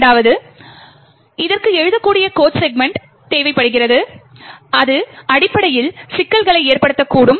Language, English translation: Tamil, Secondly, it requires a writable code segment, which could essentially pose problems